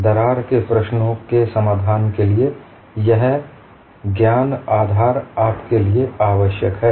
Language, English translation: Hindi, This knowledge basis is essential for you to develop the solution for the crack problems